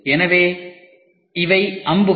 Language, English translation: Tamil, So, these are the arrows